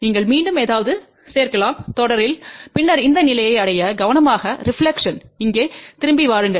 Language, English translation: Tamil, You can again add something in series and then reach to this point take care reflection come back over here